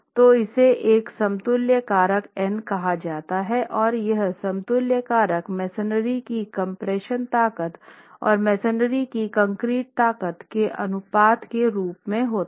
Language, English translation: Hindi, So, this is called an equivalence factor n and this equivalence factor has arrived at as the compressive ratio of compressive strength of concrete to the compressive strength of masonry